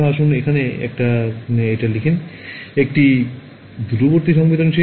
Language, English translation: Bengali, Let us just write it over here, this is remote sensing